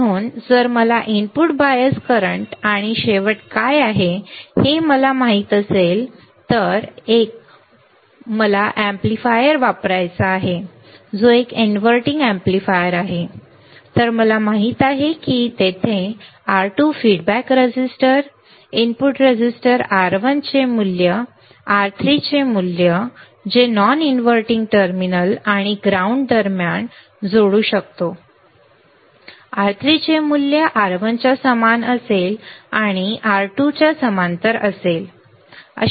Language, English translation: Marathi, So, if I know what is input bias current and the end I know if that if I want to use an amplifier that is an inverting amplifier, then I know that there is a value of R2 feedback resistor input resistor R1, then I will have value of R3 which we can which I can connect between non inverting terminal and ground and that value of R3 would be equal to R1 parallel to R2